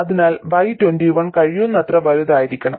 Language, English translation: Malayalam, So, Y 21 must be as large as possible